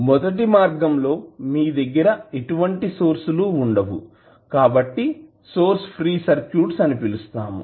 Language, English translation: Telugu, So we have the first case where you do not have any source, so called as source free circuits